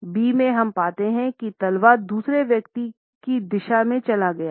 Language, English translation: Hindi, In B we find that it is the sole of the foot which is moved in the direction of the other person